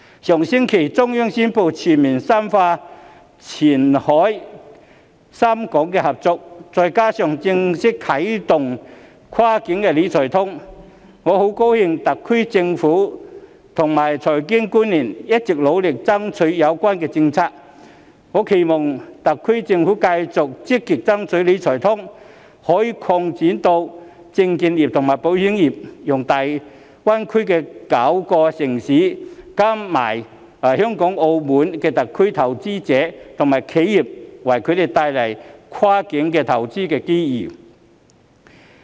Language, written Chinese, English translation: Cantonese, 上星期中央宣布《全面深化前海深港現代服務業合作區改革開放方案》，再加上正式啟動的"跨境理財通"，我很高興特區政府及財經官員一直努力爭取有關政策，我期望特區政府繼續積極爭取"理財通"可以擴展至證券業和保險業，為粵港澳大灣區內9個內地城市、香港和澳門特區的投資者和企業帶來更多跨境投資機遇。, Last week the Central Authorities promulgated the Plan for Comprehensive Deepening Reform and Opening Up of the Qianhai Shenzhen - Hong Kong Modern Service Industry Cooperation Zone which goes together with the formal launch of the Cross - boundary Wealth Management Connect . I am glad that the SAR Government and financial officials have been working hard to strive for these relevant policies . I hope that the SAR Government will continue to proactively strive for the extension of the Wealth Management Connect to the securities and insurance industries so as to provide more cross - boundary investment opportunities to investors and enterprises in the nine Mainland cities of the Guangdong - Hong Kong - Macao Greater Bay Area as well as the Hong Kong and Macao Special Administrative Regions